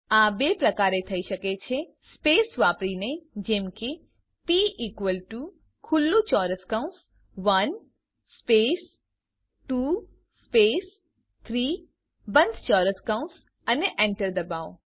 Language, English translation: Gujarati, This can be done in two ways: By using spaces as p is equal to open square bracket one space 2 space 3 close the square bracket and press enter